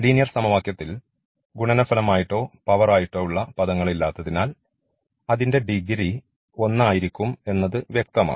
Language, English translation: Malayalam, So, because in linear equation there will no product or no power, so it will be first degree